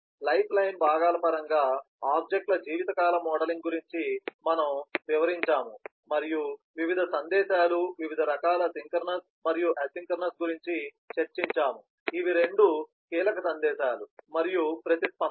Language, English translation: Telugu, we have explained the modelling of objects lifetime in terms of lifeline components and discussed about the various messages, different kinds of synchronous and asynchronous, these are two key kinds of messages and the response